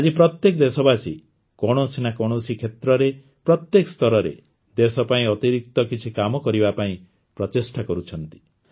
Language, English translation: Odia, Today every countryman is trying to do something different for the country in one field or the other, at every level